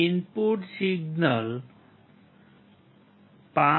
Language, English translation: Gujarati, The input signal was 5